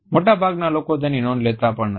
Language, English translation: Gujarati, Most people do not even notice them